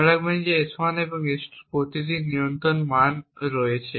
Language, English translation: Bengali, Note that S1 and S2 have control values of 0